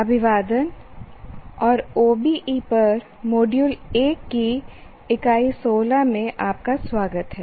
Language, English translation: Hindi, Greetings and welcome to Unit 16 of module 1 on OBE